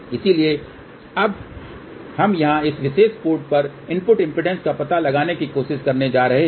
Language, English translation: Hindi, So, this one here we are now going to try to find out the input impedance at this particular port over here